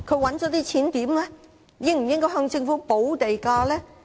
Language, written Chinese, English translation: Cantonese, 領展應否向政府補地價呢？, Should Link REIT pay premium to the Government?